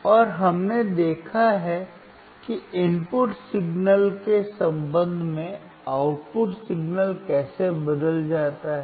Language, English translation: Hindi, And we have seen how the output signal was changing with respect to input signal